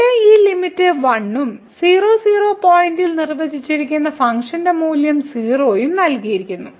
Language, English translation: Malayalam, So, this limit here is 1 and the function value defined at point is given as 0